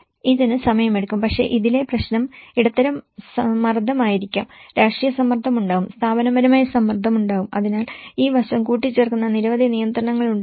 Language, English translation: Malayalam, It will take time but the problem with this is the media pressure will be there, the political pressure will be there, the institutional pressure will be there, so a lot of constraints which will add on to this aspect